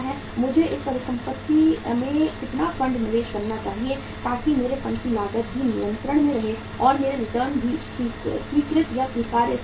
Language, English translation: Hindi, How much funds I should invest in this asset so that my cost of funds is also under control and my returns are also at the accepted or acceptable level